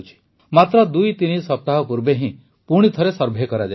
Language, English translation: Odia, Just twothree weeks ago, the survey was conducted again